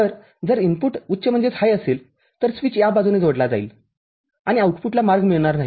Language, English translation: Marathi, So, if input is high the switch connects to this side and the output does not get a path